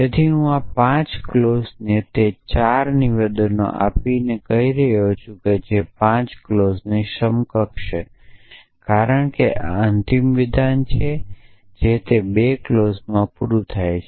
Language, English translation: Gujarati, So, I am saying given these 5 clauses all those 4 statements which are equivalent to 5 clauses, because this is the end statement it is broken down into 2 clauses